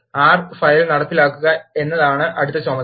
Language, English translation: Malayalam, The next task is to execute the R file